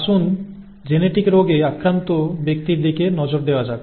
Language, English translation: Bengali, Let us look at a person affected with a genetic disease